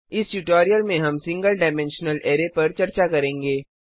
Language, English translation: Hindi, Let us see how to declare single dimensional array